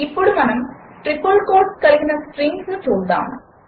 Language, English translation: Telugu, Let us now move on to the triple quoted strings